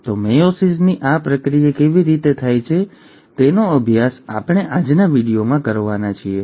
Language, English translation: Gujarati, So, how does this process of meiosis takes place is what we are going to study in today’s video